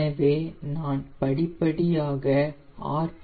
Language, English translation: Tamil, so i am gradually decreasing the rpm